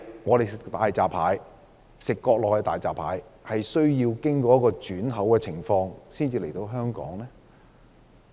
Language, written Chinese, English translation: Cantonese, 為何國內的大閘蟹需要經過轉口才可以運到香港？, Why do Mainland hairy crabs need to be imported to Hong Kong via a transit place?